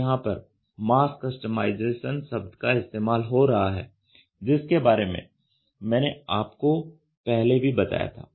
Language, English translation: Hindi, So, this is where the terminology mass customization I talked about is getting integrated